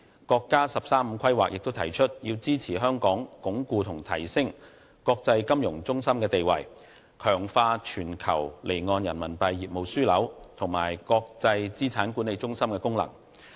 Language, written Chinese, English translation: Cantonese, 國家"十三五"規劃亦指出，必須支持香港鞏固和提升其國際金融中心的地位，以及強化其全球離岸人民幣業務樞紐和國際資產管理中心的功能。, The National 13 Five - Year Plan pledges support for Hong Kong in reinforcing and enhancing our position as an international financial centre and in strengthening our status as the global offshore Renminbi business hub and our function as an international asset management centre